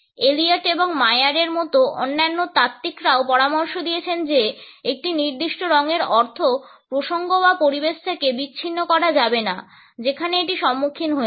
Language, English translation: Bengali, Other theorists like Elliot and Maier have also suggested that the meaning of a particular color cannot be dissociated from the context or the environment in which it is encountered